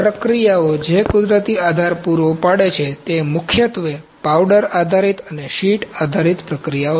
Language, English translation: Gujarati, The processes which provide natural supports are primarily powder based and sheet based processes